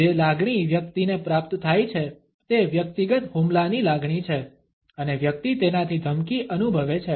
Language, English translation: Gujarati, The feeling which the person receives is the feeling of the personal attack and one feels threatened by it